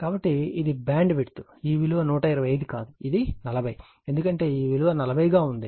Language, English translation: Telugu, So, this is the bandwidth this is not 125, this is 40, because you got this is 40